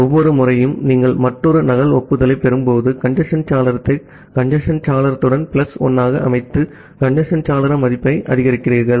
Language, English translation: Tamil, So, each time you receive another duplicate acknowledgement, you set the congestion window to congestion window plus 1, you increase the congestion window value